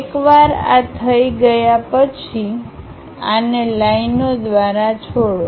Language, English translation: Gujarati, Once done, join these by lines